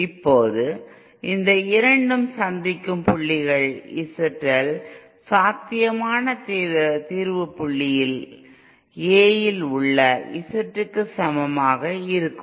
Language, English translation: Tamil, Now the points where these two meet that is the point where Z L is equal to Z in A at the potential solution points